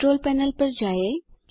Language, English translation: Hindi, Go to the Control Panel